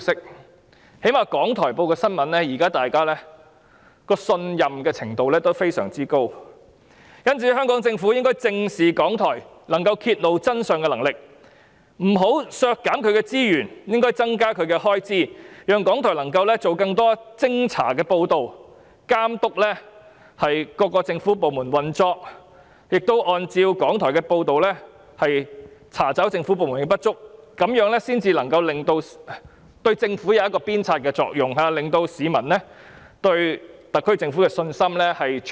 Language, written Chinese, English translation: Cantonese, 最低限度，大家對港台新聞報道的信任度非常高，因此香港政府應正視港台揭露真相的能力，不能削減其資源，反而應該增加預算開支，讓港台能夠製作更多偵查報道，監督各政府部門的運作，並按照港台的報道，查找政府部門的不足，這樣才能發揮鞭策政府的作用，從而重建市民對特區政府的信心。, On the contrary it should increase its estimated expenditure so that it can produce more investigative reports and monitor the operation of various government departments . The authorities should also identify the inadequacies of various government departments based on its reporting . Only all this can enable RTHK to perform the role of driving the Government to improve and in turn restore public confidence in the SAR Government